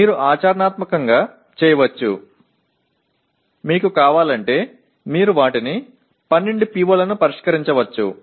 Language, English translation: Telugu, You can practically, if you want you can make them address all the 12 POs in that